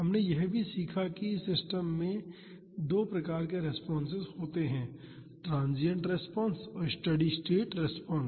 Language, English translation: Hindi, We also learned that this system has two types of response, transient response and steady state response